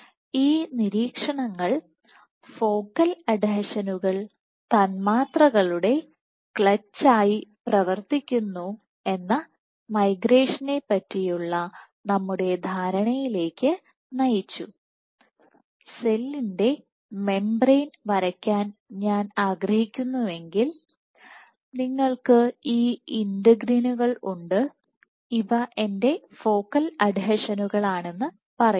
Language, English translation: Malayalam, So, these observations also lead to or understanding of migration saying that focal adhesions act as molecular clutch, if I want to draw the membrane of the cell you have these integrins let us say these are my focal adhesions